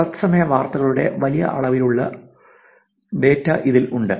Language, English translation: Malayalam, It has large amount of data on real time news